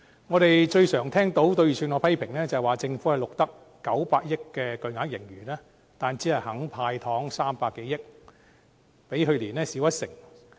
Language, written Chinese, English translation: Cantonese, 我們最常聽到對預算案的批評，便是政府錄得900億元的巨額盈餘，但只肯"派糖 "300 多億元，較去年少一成。, The most frequent criticism we can hear about the Budget is that with a huge surplus of 90 billion the Government is only willing to spend some 30 billion in giving out sweeteners which is 10 % less than the amount last year but I think such criticisms are totally ungrounded